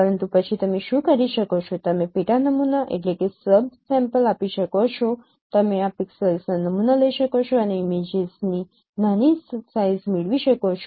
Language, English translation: Gujarati, But then what you can do you can subsample, you can down sample these pixels and get the smaller size of images